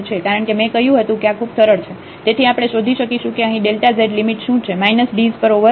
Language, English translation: Gujarati, Because as I said this is much easier so, we will find out that what is limit here delta z at minus dz at over delta rho